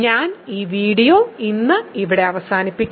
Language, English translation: Malayalam, So, I will end this video here today